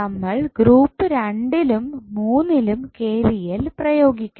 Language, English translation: Malayalam, We have to apply KVL for loop 2 and 3